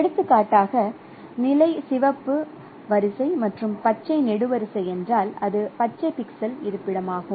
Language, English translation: Tamil, So, for example, if the position is a red row and green column, then it is a green pixel location